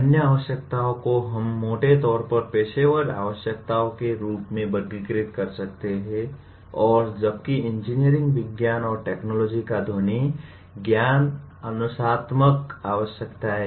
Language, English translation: Hindi, The other requirements we may broadly classify them as professional requirements and whereas the sound knowledge of engineering sciences and technology is the disciplinary requirements